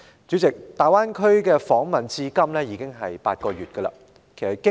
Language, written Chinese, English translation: Cantonese, 主席，大灣區訪問結束至今已將近8個月。, President it has been almost eight months now since the conclusion of the duty visit